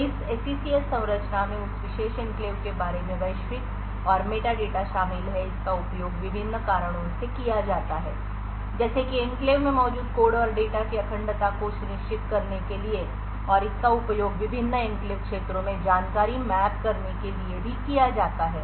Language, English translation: Hindi, So this SECS structure contains global and meta data about that particular enclave, it is used by various reasons to such as to ensure the integrity of the code and data present in the enclave and it is also used for mapping information to the various enclave regions